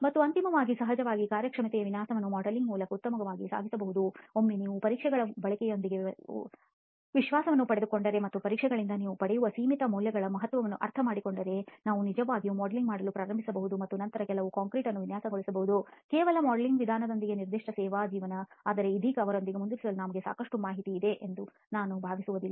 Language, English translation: Kannada, And finally of course performance design can be best accomplished through modelling once we get confidence with the use of these tests and understand the significance of the limiting values that we get from these tests, we can actually start doing modelling and then design concrete for certain specific service life with just the modelling approach, but right now I do not think that is sufficient information for us to really go forward with that